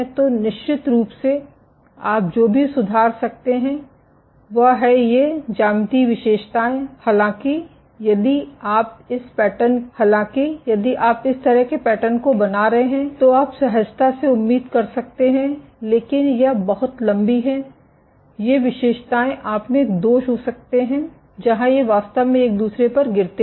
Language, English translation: Hindi, So, of course, what you can tweak is these geometrical features; however, you would intuitively expect for example if I am making this kind of a pattern, but these are very tall these features you might have defects where these actually collapse onto each other